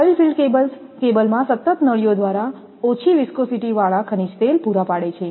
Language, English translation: Gujarati, A oil filled cable is kept constantly supplied with low viscosity mineral oil through ducts in the cable